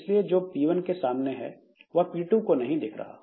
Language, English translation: Hindi, So, whatever has been faced by P1, so for p2 that is not visible